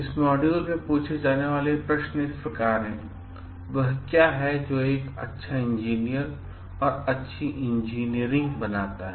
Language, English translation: Hindi, The key questions that will be answered in this module are like: what makes a good engineer and good engineering